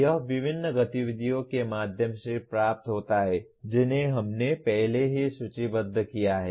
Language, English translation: Hindi, It is attained through various activities that we have already listed